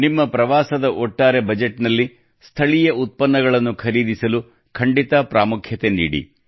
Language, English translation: Kannada, In the overall budget of your travel itinerary, do include purchasing local products as an important priority